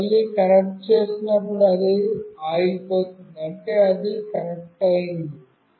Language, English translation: Telugu, And when I again connect, it has stopped that means it has connected